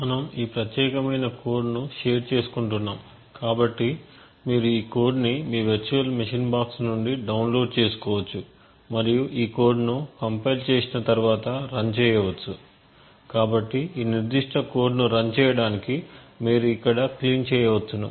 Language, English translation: Telugu, We will be sharing this particular code so you could download this code from your virtual machine box and run this code after compiling it, so in order to run this specific code you could do a make as make clean over here, then make